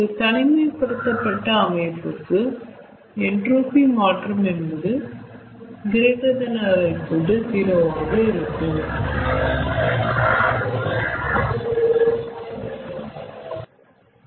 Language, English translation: Tamil, for an isolated process, the change of entropy that is greater than equal to zero